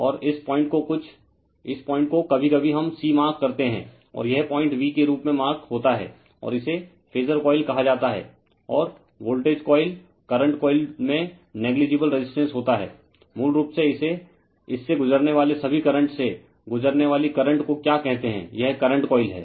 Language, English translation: Hindi, And this point this point some , this point sometimes we mark c and this point marks as v and this is called phasor coil and voltage coil current coil has negligible resistance ; basically, it to , current passing through all the current passing through this your what you call ,your, this is the current coil